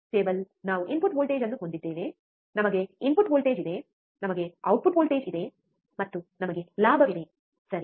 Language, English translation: Kannada, Table is we have a input voltage, we have a input voltage, we have the output voltage, and we have a gain, correct